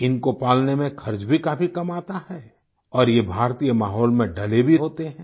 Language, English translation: Hindi, They cost less to raise and are better adapted to the Indian environment and surroundings